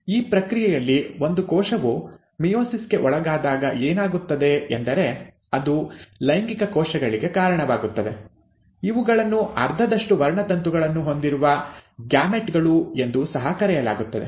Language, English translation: Kannada, In this process, when a cell undergoes meiosis, what happens is that it gives rise to sex cells, which are also called as gametes with half the number of chromosomes